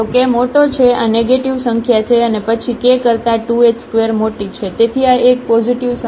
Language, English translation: Gujarati, So, k is larger this is a negative number and then 2 h square is bigger than k, so this is a positive number